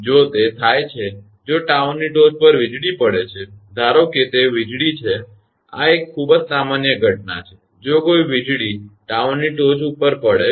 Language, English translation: Gujarati, If it happens, if lightning hits at tower top; suppose it lightning; this is a very common phenomena, if lightning hits a tower top